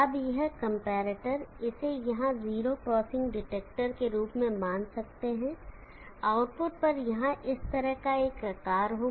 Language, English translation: Hindi, Now this comparator, can consider it as the 0 crossing detector here, will have a shape at the output here like this